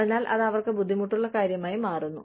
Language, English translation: Malayalam, So, it becomes a difficult thing for them